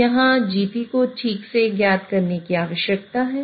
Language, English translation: Hindi, So, here, GP is required to be known exactly